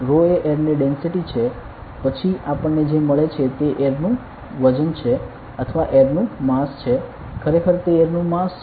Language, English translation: Gujarati, I am writing rho is the density of air then what we get is the what the weight of air right or mass of air it is the mass of air